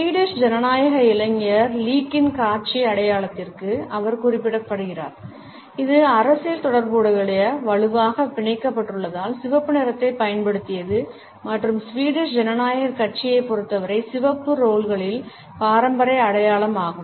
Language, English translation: Tamil, She is also referred to the visual identity of the Swedish Democratic Youth League which has used red as it is a strongly tied to the political affiliations and the traditional symbol of the red rolls as far as the Swedish Democratic Party is concerned